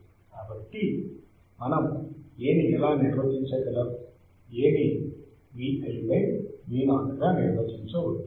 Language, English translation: Telugu, So, how we can define A, we can define A as V i by V o